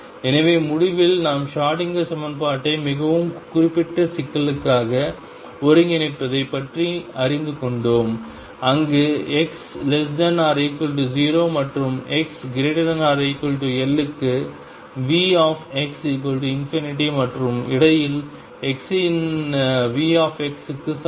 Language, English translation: Tamil, So, to conclude we have learnt about integrating the Schrodinger equation for very specific problem where V x is equal to infinity for x less than equal to 0 and x greater than equal to L and is equal to V x for x in between